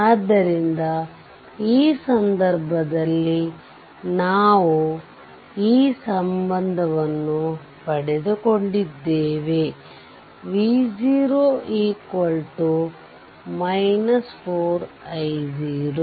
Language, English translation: Kannada, So, in this case we got this relationship V 0 is equal to minus 4 i 0